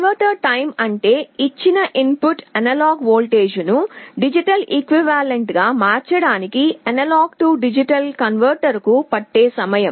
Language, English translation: Telugu, Conversion time is how much time it takes for the A/D converter to convert a given input analog voltage into the digital equivalent